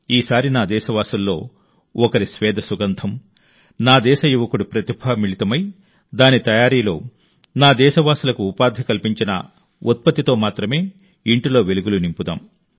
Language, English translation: Telugu, This time, let us illuminate homes only with a product which radiates the fragrance of the sweat of one of my countrymen, the talent of a youth of my country… which has provided employment to my countrymen in its making